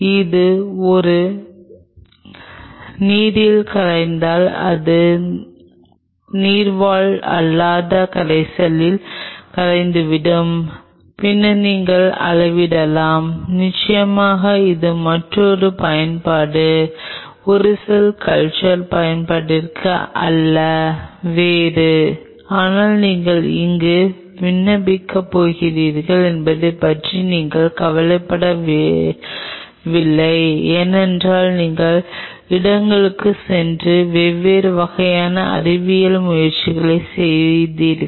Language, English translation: Tamil, It would if it does not dissolve in a aqueous it will dissolve in a its non aqueous solvence, then you can measure also of course, that is another applications is not to a cell culture application may be something else, but the see the point is we are not bothered about where are you are going to apply because you will be going to going places and doing different kind of scientific endeavor